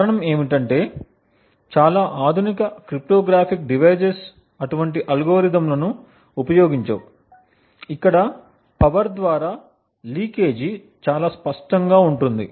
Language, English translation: Telugu, The reason being is that most modern day cryptographic devices would not be using such algorithms where the leakage through the power is quite obvious